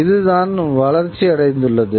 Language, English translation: Tamil, And this was something that was developed